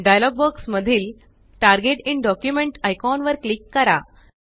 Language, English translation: Marathi, Click on the Target in document icon in the dialog box